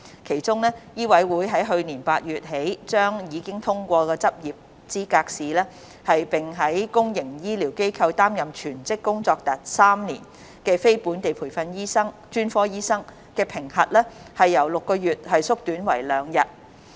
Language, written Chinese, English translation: Cantonese, 其中，醫委會在去年8月起將已通過執業資格試，並於公營醫療機構擔任全職工作達3年的非本地培訓專科醫生的評核期由6個月縮短為2日。, For instance for non - locally trained specialist doctors who have passed the Licensing Examination and have worked full - time in the public health care sector for three years MCHK has since last August shortened their period of assessment from six months to two days